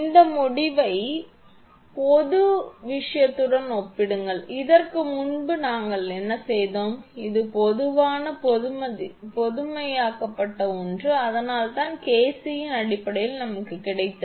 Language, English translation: Tamil, You will compare this result with the general thing whatever we have done before this is a general generalized one and that is why in terms of KC whatever we have got